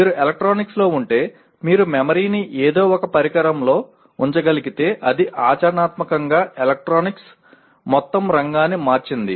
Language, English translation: Telugu, This is in electronics once you are able to put memory into something into a device it practically it has changed the entire field of electronics